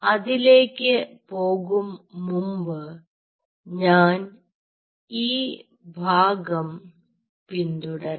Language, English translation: Malayalam, so before i get into it, i will first follow this part